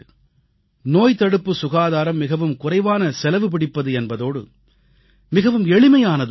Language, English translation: Tamil, Preventive health care is the least costly and the easiest one as well